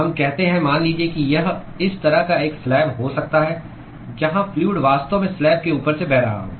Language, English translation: Hindi, So, let us say let us say it could be a slab like this where the fluid is actually flowing past the slab